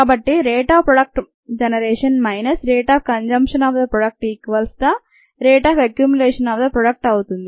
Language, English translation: Telugu, so the rate of generation minus the rate of consumption of the product equals the rate of accumulation of the product